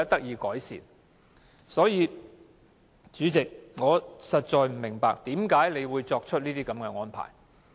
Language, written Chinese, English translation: Cantonese, 因此，主席，我實在不明白你為何作出如此安排。, For this reason President I really do not understand why you should make such arrangements